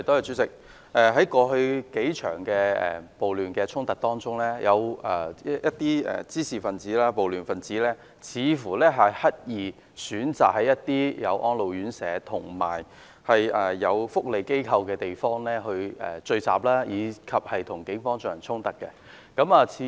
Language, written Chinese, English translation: Cantonese, 主席，在過去數場暴亂衝突中，有一些滋事、暴亂分子似乎刻意選擇在設有安老院舍和社福機構的地方聚集，並與警方發生衝突。, President in the several riots occurred in the past certain trouble - makers and rioters seemed to have deliberately chosen to gather in areas where elderly homes and welfare organizations were located and staged confrontations with the Police